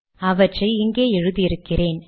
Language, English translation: Tamil, So I have already written it here